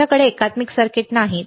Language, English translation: Marathi, We do not have integrated circuits